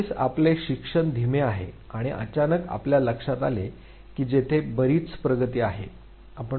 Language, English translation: Marathi, In the beginning our learning is slow and suddenly you realize that there is a steep progress